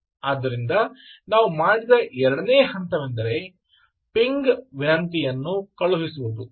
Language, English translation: Kannada, you did a pairs, so the second step that we did was to send a ping request, ping response